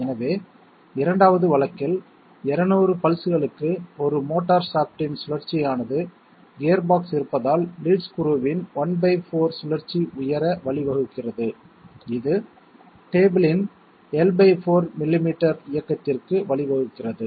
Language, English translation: Tamil, So in the 2nd case, for 200 pulses 1 rotation of the motor shaft gives rise to one fourth rotation of the lead screw due to the presence of the gearbox, which gives rise to L by 4 millimetres of movement of the table